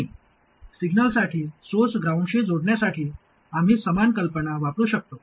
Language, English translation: Marathi, And we can use a similar idea to connect the source to ground for signals